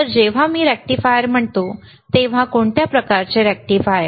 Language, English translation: Marathi, So, when I say rectifier, we are using rectifier what kind of rectifier what kind rectifier